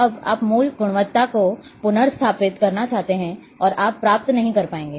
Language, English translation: Hindi, Now you want to restore to, to the original quality you will not achieve